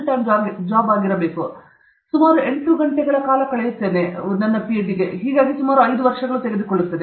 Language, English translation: Kannada, We spend 8 hours, so that it takes about approximately 5 years